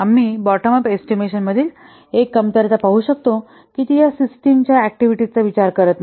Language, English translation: Marathi, We will see one of the drawback of bottom of estimation is that it does not take into account these what system level activities